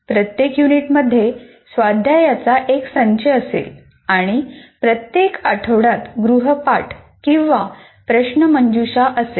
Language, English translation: Marathi, Each unit will have a set of exercises and each week will have an assignment or a quiz